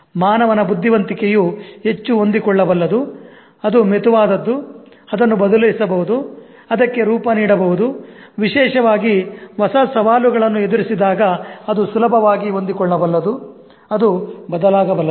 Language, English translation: Kannada, Human intelligence is highly adaptable, it's malleable, it can be changed, it can be molded, especially when it is confronted with new challenges, it can easily adapt, it can change